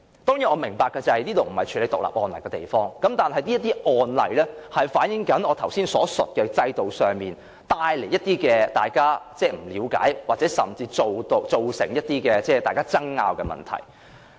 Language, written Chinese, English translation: Cantonese, 當然，我明白這裏不是處理獨立案例的地方，但這些案例反映了我剛才所述的情況，即因為在制度上，令大家不了解，甚至造成爭拗的問題。, Yes I know that this is not the occasion for individual cases but this case reflects the issues mentioned by me just now concerning misunderstanding or even conflicts under the system